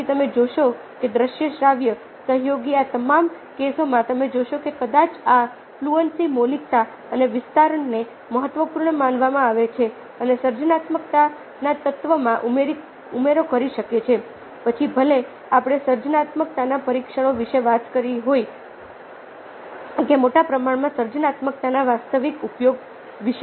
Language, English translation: Gujarati, then you see that visual, auditory, associative, in all these cases you see that ah, probably, ah, these fluency, originality and elaboration are considered as important and can add to the element of a creativity, whether we are talking about tests of creativity or actual application of creativity in large and small ah cases of everyday life